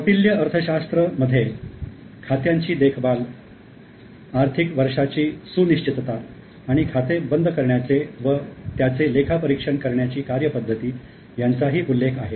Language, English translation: Marathi, Now according to Kautilya Arthashtra, maintenance of accounts, now the financial year was fixed and a full process for closure of accounts and audit of the same was also mentioned